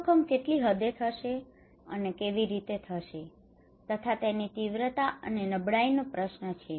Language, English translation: Gujarati, What extent this risk will happen how it will happen the severity and vulnerability question okay